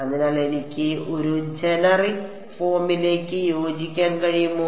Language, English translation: Malayalam, So, can I can I fit into this generic form